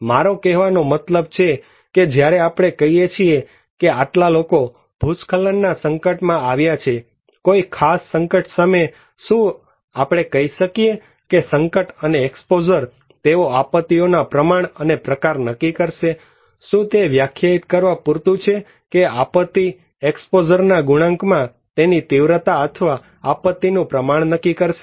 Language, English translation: Gujarati, I mean when we say that okay this much of people are exposed to a landslide, a particular hazard, can we say that hazard and exposure, they will decide the degree and the type of disasters, is it enough definition to quote that hazard multiplied by exposure will decide the magnitude of the disaster or the degree of disaster